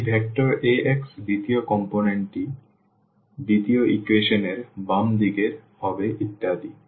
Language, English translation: Bengali, The second component of this vector A x will be the left hand side of the second equation and so on